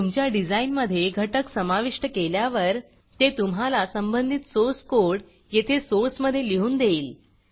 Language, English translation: Marathi, As you add components to the design, it takes the corresponding source code and adds it to the source here